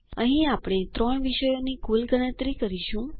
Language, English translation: Gujarati, Here we calculate the total of three subjects